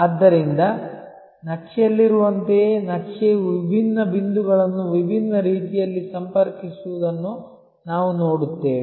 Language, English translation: Kannada, So, the map just like in a map we see different points connected through different ways